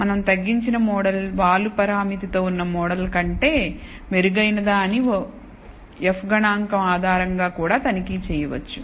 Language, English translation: Telugu, We can also check based on the f statistic whether the reduced model is better than the model with the slope parameter